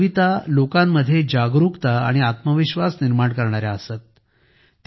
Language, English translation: Marathi, Her poems used to raise awareness and fill selfconfidence amongst people